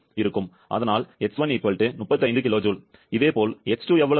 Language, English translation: Tamil, Similarly, how much will be X2